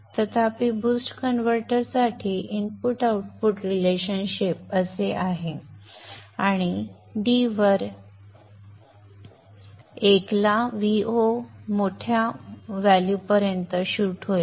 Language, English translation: Marathi, So however the input output relationship for the boost converter is like this and at D tending to 1 v0 will shoot up to a large value